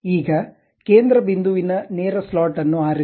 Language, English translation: Kannada, Now, pick the center points straight slot